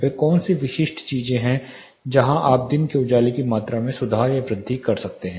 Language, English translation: Hindi, What are the specific things where you can improve or enhance the amount of daylight available